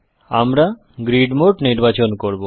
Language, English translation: Bengali, Let me choose grid mode